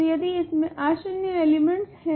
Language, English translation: Hindi, So, if it contains non zero elements